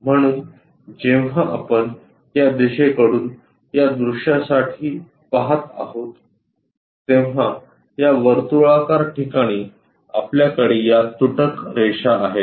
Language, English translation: Marathi, So, when we are looking from this direction for the view, the circular location where we have it we have this dashed lines